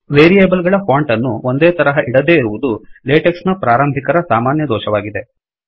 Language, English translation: Kannada, Not keeping the font of variables identical is a common mistake made by beginners of latex